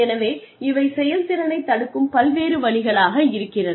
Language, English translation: Tamil, So, various ways in which, this can hamper performance